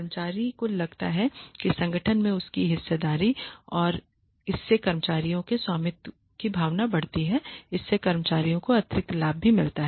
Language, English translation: Hindi, Employees feel that they have a stake in the organization and it increases the ownership the feeling of ownership by the employees and it also gives the employees additional benefit